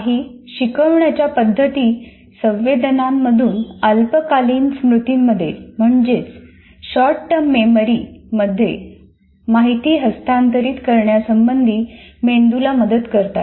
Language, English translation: Marathi, Some of the instructional methods that facilitate the brain in dealing with information transfer from senses to short term memory